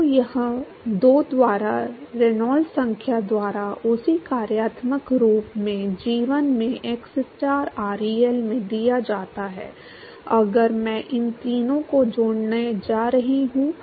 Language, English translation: Hindi, So, that is given by 2 by Reynolds number into the same functional form into g1 into xstar ReL now if I am going to relate these three